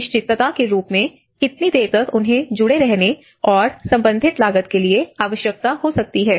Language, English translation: Hindi, Uncertainty as to how long they may need to be engaged and for the associated cost